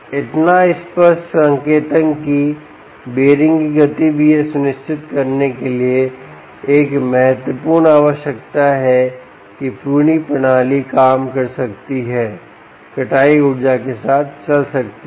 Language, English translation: Hindi, so a clear indicator that speed of the bearing also is a important requirement to ensure that the whole system can work, can run with harvested energy